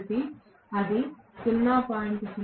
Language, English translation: Telugu, So, if it is 0